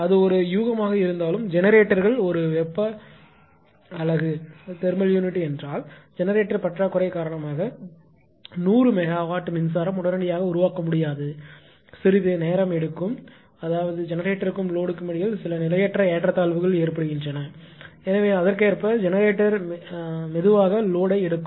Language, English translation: Tamil, So, generators whether it is a ah suppose, if it is a thermal unit; that it cannot generate power 100 megawatt, instantaneously, it takes some time; that means, there is some transient imbalance will occur between generation and load because there will be shortage of generation and load an increase